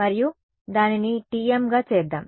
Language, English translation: Telugu, So and lets make it TM